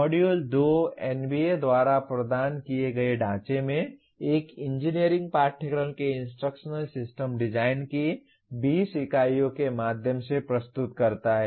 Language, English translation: Hindi, Module 2 presents through 20 units of Instructional System Design of an engineering course in the framework provided by NBA